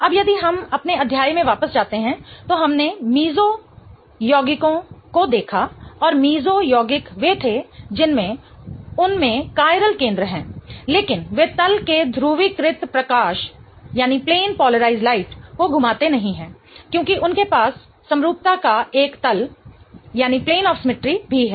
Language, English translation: Hindi, Now if we go back back to our chapter, we looked at meso compounds and meso compounds were the ones that have chiral centers in them, but they do not rotate the plane of plane polarized light because they also have a plane of symmetry